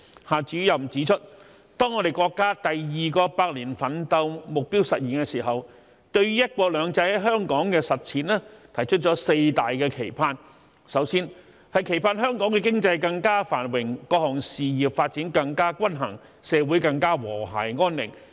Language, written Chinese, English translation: Cantonese, 夏主任指出，當國家第二個百年奮鬥目標實現的時候，對於"一國兩制"在香港的實踐提出了四大期盼：首先，期盼香港的經濟更加繁榮，各項事業發展更加均衡，社會更加和諧安寧。, Director XIA expressed his wish that when the countrys second centenary goal is achieved the four major expectations in the implementation of one country two systems in Hong Kong could be realized first it is expected that Hong Kongs economy will be more prosperous the development of various businesses will be more balanced and our society will be more harmonious and peaceful